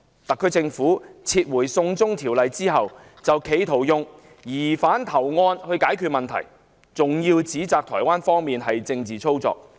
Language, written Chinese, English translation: Cantonese, 特區政府撤回"送中條例"後，企圖以疑犯投案來解決問題，更指摘台方的做法是"政治操作"。, After the withdrawal of the China extradition bill the SAR Government attempted to resolve the matter by voluntary surrender of the suspect while accusing Taiwan of political manoeuvring